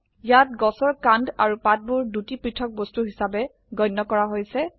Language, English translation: Assamese, Here the Tree trunk and the two Leaves are treated as separate objects